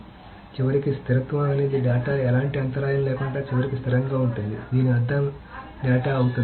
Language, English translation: Telugu, So eventual consistency is that data will be eventually consistent without any interim perturbation